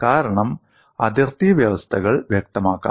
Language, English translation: Malayalam, The reason is the boundary conditions could be specified